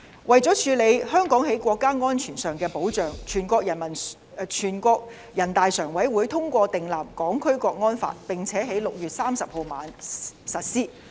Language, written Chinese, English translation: Cantonese, 為了處理香港在國家安全上的保障，全國人民代表大會常務委員會通過訂立《香港國安法》，並在6月30日晚上實施。, In order to deal with the protection of national security in Hong Kong the Standing Committee of the National Peoples Congress NPCSC enacted the National Security Law which subsequently took effect from the evening of 30 June